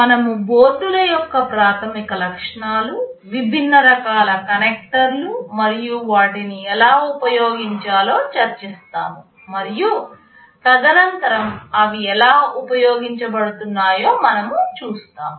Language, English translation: Telugu, We shall be discussing the basic features of the boards, the different kind of connectors and how to use them, and subsequently we shall be seeing actually how they are put to use